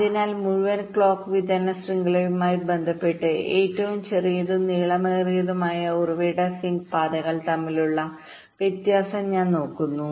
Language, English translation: Malayalam, so so here, with respect to the whole clock distribution network, we are looking at the difference between the shortest and the longest source sink paths